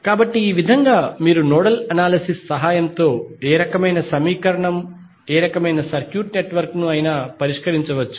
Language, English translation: Telugu, So, with this way you can solve any type of any type of circuit network with the help of nodal analysis